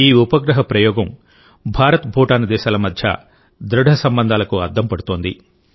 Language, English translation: Telugu, The launching of this satellite is a reflection of the strong IndoBhutan relations